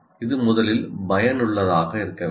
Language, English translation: Tamil, It should be effective first